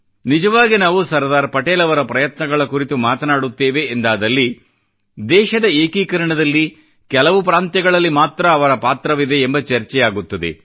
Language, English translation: Kannada, Actually, when we refer to Sardar Patel's endeavour, his role in the unification of just a few notable States is discussed